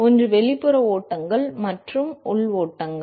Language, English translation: Tamil, One is the external flows, and internal flows